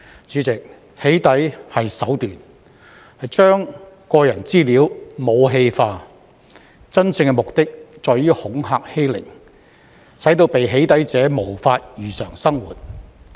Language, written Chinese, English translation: Cantonese, 主席，"起底"是手段，將個人資料武器化，真正目的在於恐嚇欺凌，使被"起底"者無法如常生活。, President doxxing is a means to weaponize personal information but the real purpose is to intimidate and bully so that the person being doxxed cannot live a normal life